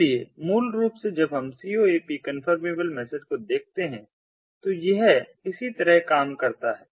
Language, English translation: Hindi, so basically, when we look at coap confirmable message this is how it works